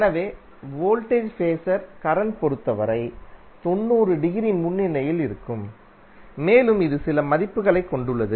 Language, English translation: Tamil, So the voltage Phasor would be 90 degree leading with respect to current and it has some value